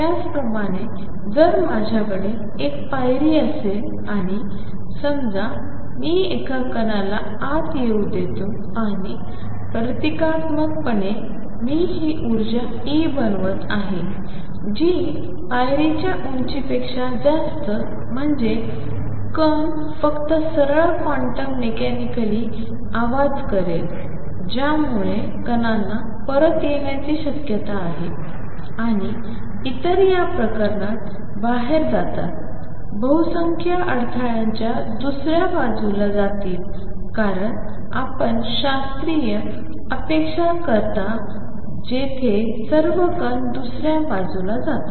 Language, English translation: Marathi, Similarly, if I have a step and suppose, I allow a particle to come in and symbolically, I am making this energy E to be greater than the step height classically the particle would just go straight quantum mechanically sound the particles have a probability of coming back and others go out in this case a majority would be going to the other side of the barrier as you would expect classically where all the particle go to the other side